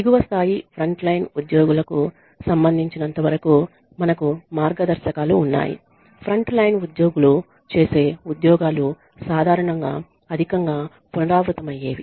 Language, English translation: Telugu, Then we have guidelines the as far as lower level of frontline employees are concerned the jobs that are done by frontline employees are usually highly repetitive